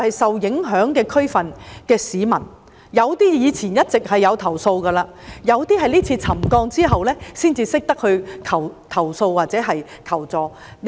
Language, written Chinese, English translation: Cantonese, 受影響地區的市民，有些以前一直投訴，有些是今次沉降後才懂得投訴或求助的。, Some people in the affected areas have always complained before . Some have learned only from the current subsidence incident how to file complaints or seek assistance